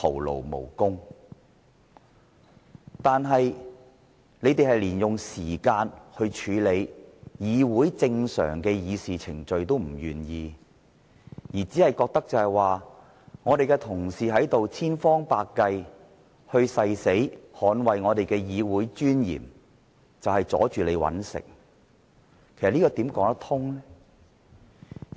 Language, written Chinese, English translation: Cantonese, 然而，建制派連用時間來處理議會正常的議事程序也不願意，只覺得民主派議員千方百計、誓死捍衞議會的尊嚴就是阻礙他們謀生，這怎可以說得過去？, Nevertheless the pro - establishment Members are not even willing to spend time in dealing with a normal agenda item and they think that various strenuous attempts made by the democrats to safeguard the dignity of the Legislative Council will hinder them from making a living . How can such an argument hold water?